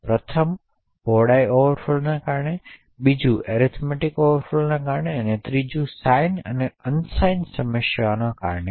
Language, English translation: Gujarati, The first is due to widthness overflow, second is due to arithmetic overflow, while the third is due to sign and unsigned problems